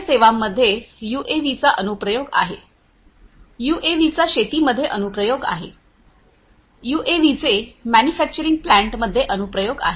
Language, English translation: Marathi, UAVs have application in health care, UAVs have applications in agriculture, UAVs have applications in manufacturing plants